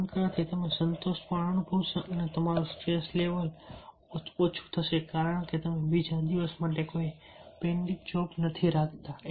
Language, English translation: Gujarati, doing it, you will also feel satisfied and your stress level will be low because you are not keeping any pending job for the next day